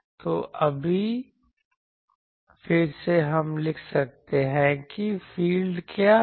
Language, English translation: Hindi, So, we right now that again we write what are the fields